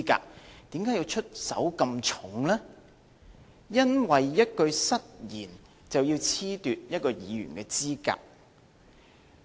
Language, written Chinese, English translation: Cantonese, 為甚麼出手這麼重，因為一句失言，就要褫奪一位議員的資格呢？, Why did they make such severe move to disqualify a Member for a single slip of tongue?